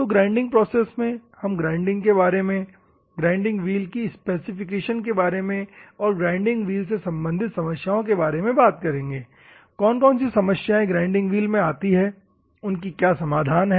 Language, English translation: Hindi, So, in the grinding process we are going to see the introduction to the grinding, grinding wheel specification, then the grinding wheel problems, what are the problems faced by the grinding wheels, as such and solutions